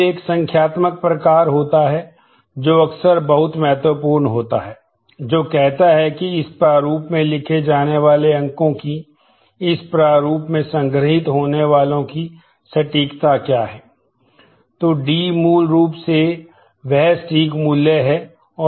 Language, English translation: Hindi, Then there is a numeric type which is often very important, which says what is the precision of the numbers that are to be written in this format stored in this format